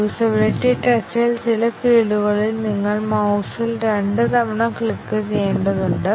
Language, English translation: Malayalam, Was it that in the usability test, in some fields, you have to the click the mouse twice